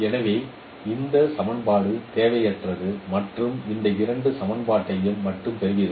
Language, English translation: Tamil, So this equation is redundant and you get only this two equations